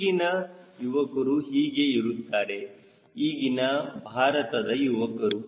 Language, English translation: Kannada, that is what is youth of today, india's youth today